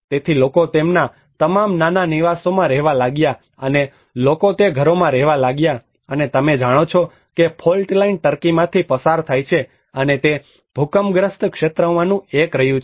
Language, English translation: Gujarati, So people started dwelling to their all small dwellings and people started living in those houses and as you know the fault line passes through turkey and it has been one of the earthquake prone area